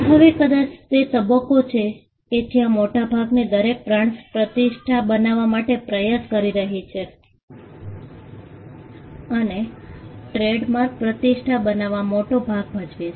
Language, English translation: Gujarati, Now, this probably is the stage at which most brands are because, every brand is trying to create a reputation and trademarks do play a big role in creating reputation